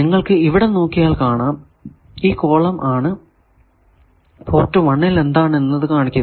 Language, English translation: Malayalam, Let us see here you see that this column shows you what is given at port 1